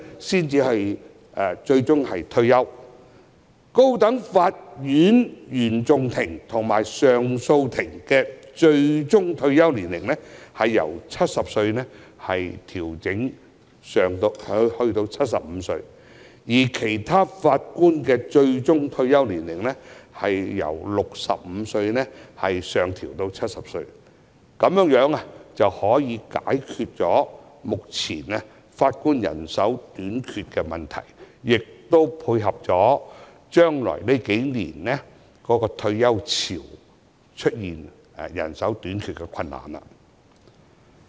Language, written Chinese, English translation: Cantonese, 此外，高等法院原訟法庭及上訴法庭法官的最高退休年齡，建議由70歲提高至75歲，而其他法院法官的最高退休年齡由65歲上調至70歲，從而解決目前法官人手短缺的問題，以及未來數年因退休潮而出現人手短缺的困難。, Moreover the maximum retirement age for Judges of CFI and CA of the High Court is recommended to be raised from 70 to 75 whereas the maximum retirement age for Judges of other courts will be raised from 65 to 70 so as to solve the manpower shortage of Judges at present and that arising from the wave of retirement in the next few years